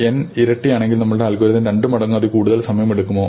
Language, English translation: Malayalam, If N doubles, does our algorithm take two times more time